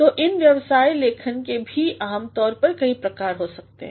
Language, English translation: Hindi, So, these business writings usually can have different types